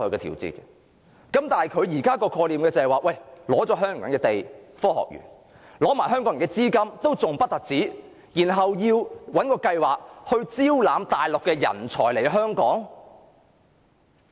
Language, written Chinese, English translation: Cantonese, 但現在的創科概念是，拿了香港人的地和資金建科學園，還不止，然後找一個計劃招攬內地人才來香港。, But the current IT concept is that it takes the land and money from the people of Hong Kong to build this Science Park; not only that it devises a plan to recruit Mainland talent to work in Hong Kong